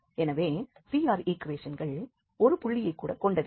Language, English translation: Tamil, But here the CR equations are not satisfied at any point